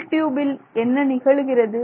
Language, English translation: Tamil, And then what happens to the inner tube